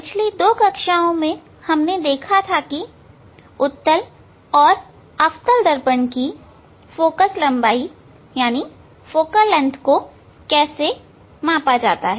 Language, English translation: Hindi, In last two classes, we have seen how to measure the focal length of concave mirror and convex mirror